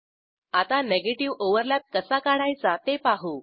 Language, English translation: Marathi, Now, I will demonstrate how to draw a negative overlap